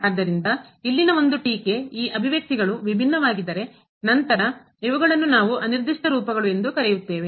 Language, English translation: Kannada, So, there was a remark here that these expressions which are different then these which we are calling indeterminate forms